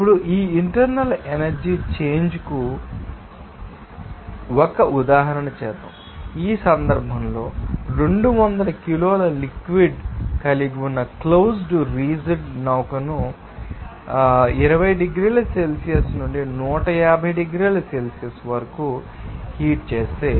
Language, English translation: Telugu, Now, let us do an example for this internal energy change also, in this case, if a closed rigid vessel that contains 200 kg of fluid is what is heated from 20 degrees Celsius to 150 degree Celsius